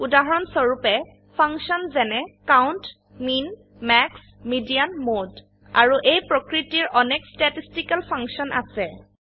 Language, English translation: Assamese, For example, functions like COUNT, MIN, MAX, MEDIAN, MODE and many more are statistical in nature